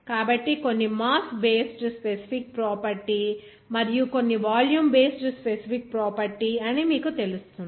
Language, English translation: Telugu, So, some will be you know that mass based specific property and some would be volume based specific property